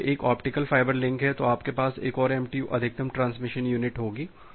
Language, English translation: Hindi, If this is an optical fiber link, you will have another MTU Maximum Transmission Unit